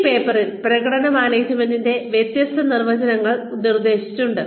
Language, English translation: Malayalam, And, in this paper, various definitions of performance management have been proposed